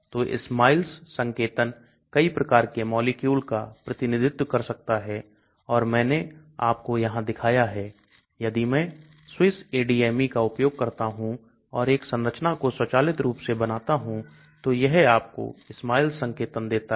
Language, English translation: Hindi, So SMILES notation can represent many type of molecule and I showed you here if I use SwissADME and draw a structure automatically it gives you the SMILES notation